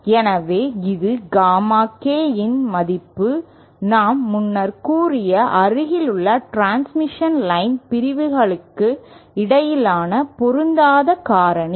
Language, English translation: Tamil, So this is the value of Gamma K or the mismatch factor between adjacent transmission line segments that we have stated earlier